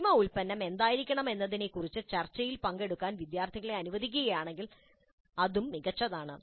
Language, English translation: Malayalam, And if students are allowed to participate in the discussion regarding what should be the final product, that is also great